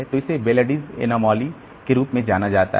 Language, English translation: Hindi, So, this particular phenomena is known as Bellardis anomaly